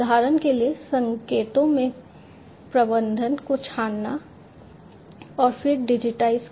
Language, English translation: Hindi, For example, amplification filtering of the signals and so on and then digitize right